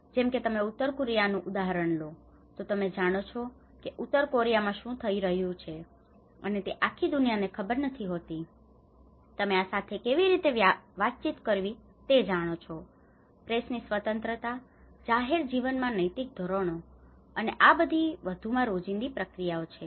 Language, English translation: Gujarati, And the press freedom you know like if you take the example of North Korea you know how what is happening in North Korea may not be known to the whole world you know how to communicate with this, the press freedom, ethical standards in public life and these are more of the everyday processes